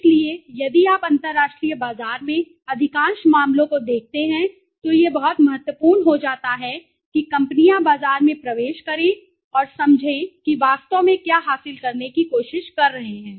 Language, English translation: Hindi, So if you look at most of the cases in the international market it becomes very important that companies entering into the market and understand that what exactly are they trying to achieve